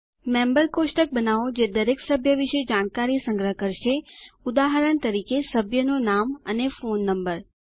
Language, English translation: Gujarati, Create a Members table that will store information about each member, for example, member name, and phone number